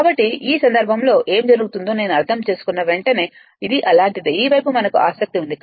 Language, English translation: Telugu, So, in this case what happened that as soon as as soon as you I mean it is something like this, this side we are interested